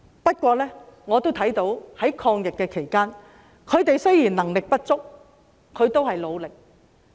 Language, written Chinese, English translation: Cantonese, 不過，我也看到在抗疫期間，他們雖然能力不足，但也有努力。, However although they are not very capable in this fight against the epidemic I see that they have tried hard